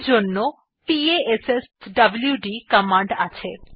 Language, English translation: Bengali, For this we have the passwd command